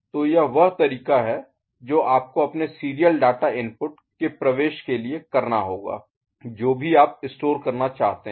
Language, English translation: Hindi, So, this is the way you have to plan your entry of serial data input depending on what you want to store